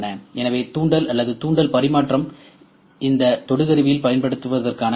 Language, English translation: Tamil, So, inductive or inductive transmission is the principle in using this probe